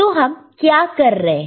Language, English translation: Hindi, And what we are doing